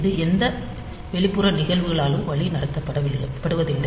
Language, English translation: Tamil, So, this is not guided by any external phenomena